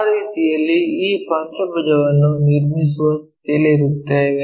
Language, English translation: Kannada, In that way we will be in a position to construct this pentagon